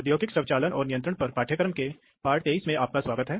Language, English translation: Hindi, Welcome to lesson 30 of industrial automation control